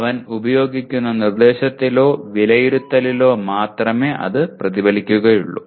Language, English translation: Malayalam, It has to get reflected only in the instruction or assessment that he uses